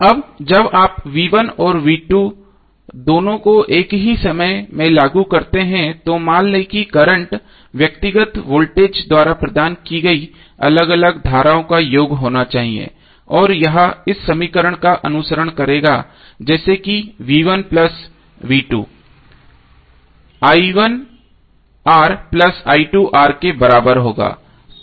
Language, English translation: Hindi, Now when you apply both V1 and V2 at the same time suppose if you are current should be sum of individual currents provided by individual voltages and it will follow this equation like V1 plus V2 would be equal to i1 R plus i2 R